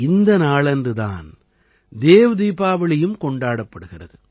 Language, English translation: Tamil, 'DevDeepawali' is also celebrated on this day